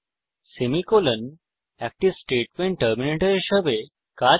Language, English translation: Bengali, Semicolon acts as a statement terminator